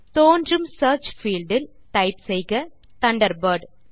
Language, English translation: Tamil, In the Search field, that appears, type Thunderbird